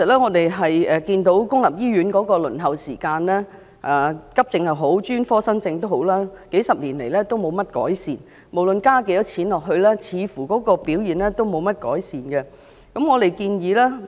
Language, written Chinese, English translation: Cantonese, 我們看到公立醫院的輪候時間，不論急症或專科新症，數十年來也沒有改善，無論對此增加多少撥款，表現也似乎沒有改善。, We can see that the waiting time for accident and emergency cases or new cases for specialist services in public hospitals has not been improved for decades . No matter how the allocation of funds has been increased the performance has not been improved